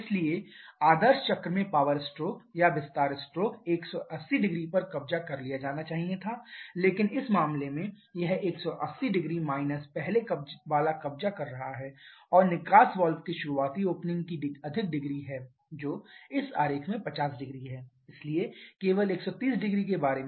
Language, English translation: Hindi, So, the power stroke or expansion stroke in ideal cycle it should have occupied 1800 but, in this case, it is occupying 1800 minus the earlier and there is more degree of early opening of the exhaust valve which is 500 in this diagram, so, only about 1300